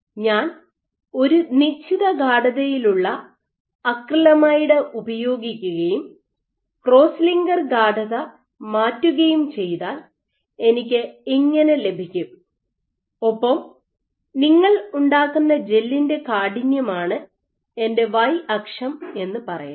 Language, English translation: Malayalam, So, if I use a given concentration of acrylamide and I keep changing the cross linker concentration I will get and let us say my y axis is the stiffness that I will get, gel stiffness that you will make